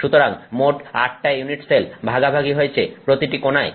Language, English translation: Bengali, So, totally eight unit cells share each corner